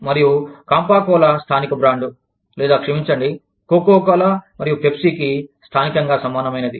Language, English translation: Telugu, And, Campa Cola was the local brand, or, sorry, the local equivalent, of Coca Cola and Pepsi